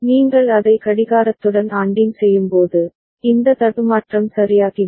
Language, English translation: Tamil, When you are ANDing it with the clock, then this glitch goes away ok